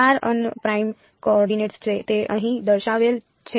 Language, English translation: Gujarati, r un primed coordinates right that is that is indicated over here